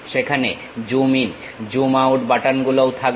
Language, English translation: Bengali, There will be zoom in, zoom out buttons also will be there